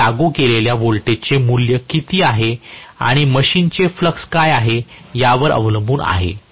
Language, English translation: Marathi, This is dependent upon what is the value of voltage that I have applied and what is the flux of the machine